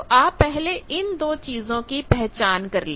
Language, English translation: Hindi, So, identify these two things